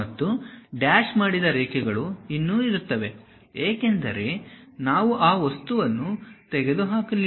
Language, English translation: Kannada, And dashed lines still present; because we did not remove that material